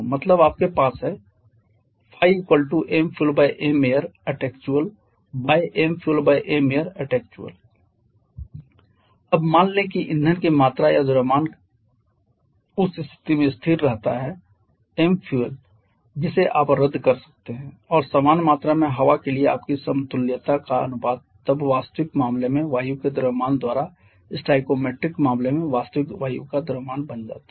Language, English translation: Hindi, Now assume that the amount of fuel or mass of fuel remains constant in that case m fuel you can cancel out and for the same quantity of air your equivalence ratio then becomes mass of actual air in stoichiometric case by mass of air in actual case